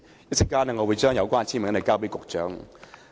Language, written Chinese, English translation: Cantonese, 我稍後會把有關的簽名交給局長。, I will later submit the signatures to the Secretary